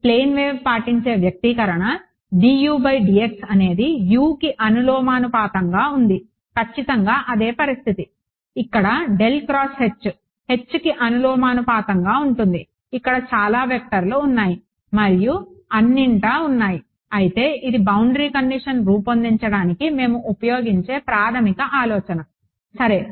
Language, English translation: Telugu, The expression obeyed by a plane wave d u by d x was proportional to u exactly the same situation is going to happen over here curl of H proportional to H of course, there are more vectors and all over here, but this is the basic idea that we will use to derive the boundary condition ok